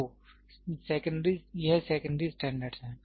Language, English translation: Hindi, So, this is secondary standard, secondary standard